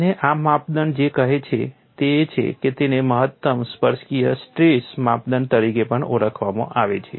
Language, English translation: Gujarati, And what this criterion says is, it is also famously known as maximum tangential stress direct criterion